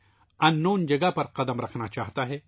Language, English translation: Urdu, It wants to step on unknown territory